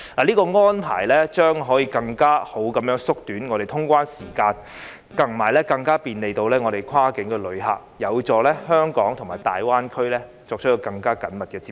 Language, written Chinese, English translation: Cantonese, 這項安排將可以更好地縮短通關時間，以及更便利跨境旅客，有助香港與大灣區作更緊密的接觸。, This arrangement will not only shorten the clearance time for greater travel convenience of cross - boundary passengers but also enhance the connectivity of Hong Kong with the Greater Bay Area